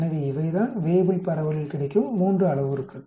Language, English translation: Tamil, So these are the three parameters available in Weibull distribution